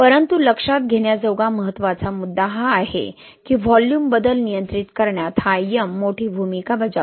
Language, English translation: Marathi, But the important point to note is this M plays a big role in governing the volume change, okay